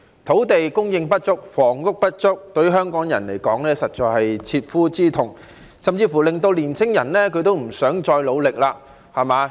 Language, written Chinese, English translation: Cantonese, 土地供應不足、房屋不足，對香港人來說實在是切膚之痛，甚至令年輕人不想再努力。, Insufficient land supply and inadequate housing supply have caused tremendous pain to Hong Kong people